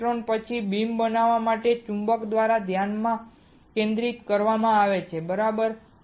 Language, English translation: Gujarati, The electrons are then focused by magnets to form a beam, right